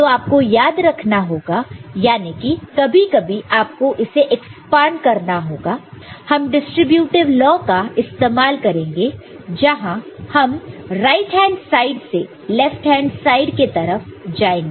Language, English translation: Hindi, So, you have to remember I mean, you can sometimes you need to expand for which also you can use the distributive law from right hand side you go to left hand side, ok